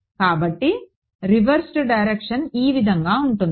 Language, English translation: Telugu, So, the reversed direction is going to be this right